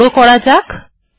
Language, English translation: Bengali, I can make it bigger